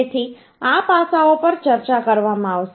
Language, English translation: Gujarati, So these aspects will be discussed Also